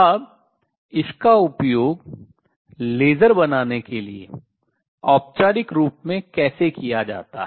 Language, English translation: Hindi, Now, how is this used into formalize to make lasers